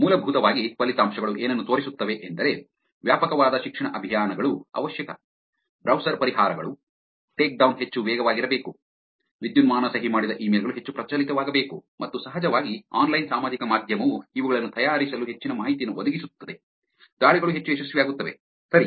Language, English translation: Kannada, Essentially, what does the results show is that extensive education campaigns is necessary, browser solutions of course, take down has to be much faster, digitally signed emails have to become more prevalent and of course, online social media provides lot more information for making these attacks more successful, all right